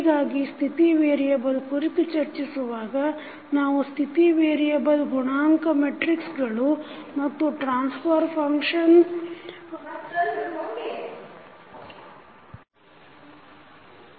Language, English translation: Kannada, So, when you, we were discussing about the State variable approach we found that the relationship between State variable coefficient matrices and the transfer function is as follows